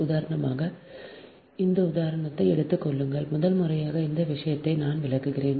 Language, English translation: Tamil, for example, take this example, that first time, this thing, then i will explain this